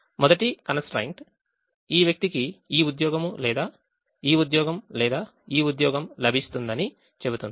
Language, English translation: Telugu, the first constraint will say that this person will get either this job or this job, or this job